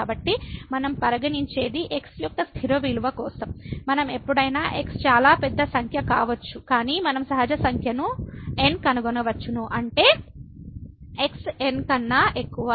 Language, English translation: Telugu, So, what we consider for a fixed value of , we can always whatever as could be very large number, but we can find a natural number such that the absolute value of this is greater than